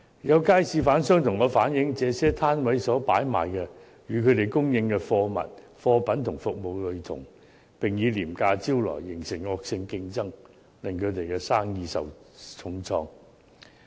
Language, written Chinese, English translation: Cantonese, 有街市販商向我反映，這些攤位所擺賣的物品與他們供應的貨品和服務類同，並以廉價招徠，形成惡性競爭，令他們的生意受到重創。, Some market traders have relayed to me that the articles offered at these stalls are similar to the goods and services supplied by them and low prices are offered to attract customers thus leading to vicious competition and dealing a heavy blow to their business . We have got to know that market traders are in a most passive position